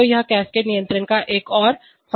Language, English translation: Hindi, So this is another advantage of cascade control